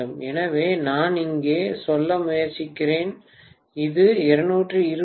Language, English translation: Tamil, So what I am trying to say here is, if it is 220 V by 2